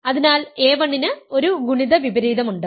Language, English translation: Malayalam, So, a 1 has a multiplicative inverse